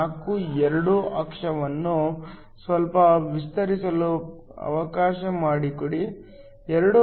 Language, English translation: Kannada, 4, 2 let me extend the axis a bit, 2